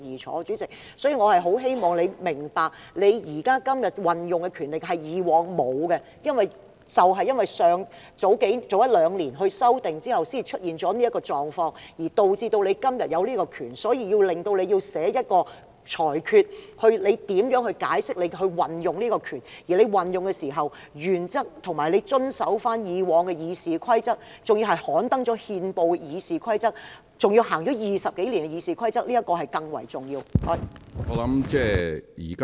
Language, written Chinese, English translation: Cantonese, 所以，主席，我很希望你明白，你今天所運用的權力，是以往沒有的，而正因為早一兩年修訂後才出現這種狀況，導致你今天擁有這種權力，致令你今天要作出裁決，解釋如何運用這種權力，而運用時的原則，不但需要遵守以往的《議事規則》，還要按照已刊登憲報的《議事規則》、已經運作20多年的《議事規則》來行事，這點是更為重要的。, Therefore President I hope that you will understand that the power you exercise today did not exist in the past . You are vested with this power simply because the Rules of Procedure was amended over the past year or so . And as a result you need to make the ruling and explain how this power should be used but you need to observe the previous Rules of Procedure when you exercise such power and you should adhere to the gazetted Rules of Procedure which have been operating over the past 20 years or so and this is the more important aspect of the matter